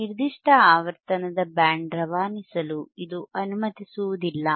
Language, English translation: Kannada, It will not allow this particular frequency to pass right